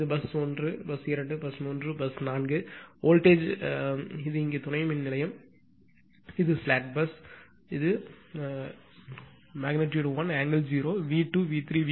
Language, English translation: Tamil, This is bus 1, bus 2, bus 3, bus 4; voltage is here substation; this is slag bus; this is 1 angle 0; v2, v3, v4